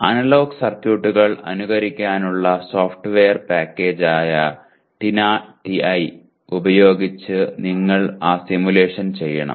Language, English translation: Malayalam, And you should use that simulation using TINA TI which is a software package meant for simulating analog circuits